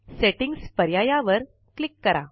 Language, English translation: Marathi, Click on the Settings option